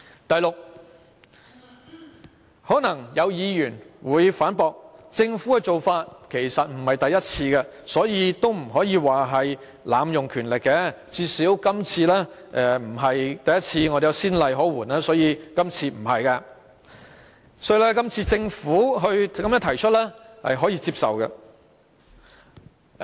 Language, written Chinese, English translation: Cantonese, 第六，可能有議員會反駁，說政府的做法其實並非第一次，所以不能說是濫用權力，最少今次不是第一次，既有先例可援，所以今次不是濫用權力，是可以接受的。, Sixth some Members may refute that this act of the Government is not unprecedented thus we cannot accuse the Government of abusing power . At least this is not the first time that the Government took this action . Since there is a precedent the Government has not abused its power and therefore its move is acceptable